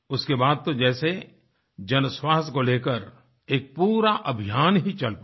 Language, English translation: Hindi, And after that, an entire movement centred on public health got started